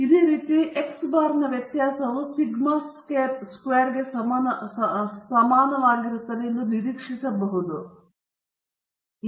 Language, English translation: Kannada, On similar lines, you might have expected the variance of x bar to be also equal to sigma squared, but it is not so